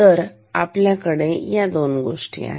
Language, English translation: Marathi, So, we have these two things